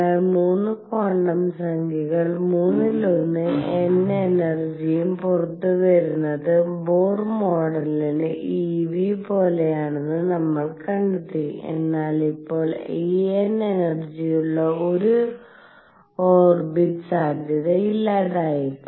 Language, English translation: Malayalam, So, we found 3 quantum numbers third the energy E n comes out to be exactly the same as Bohr model e v, but now the possibility of an orbit having energy E n being unique is gone